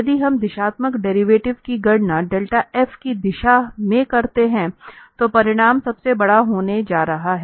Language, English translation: Hindi, So if we take, if we compute the directional derivative in the direction of this del f, then the magnitude is going to be the largest one the maximum one